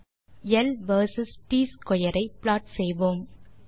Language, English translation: Tamil, Let us first plot l versus t square